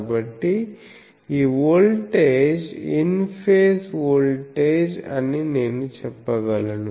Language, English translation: Telugu, So, I can say that this voltage let us say in phase voltage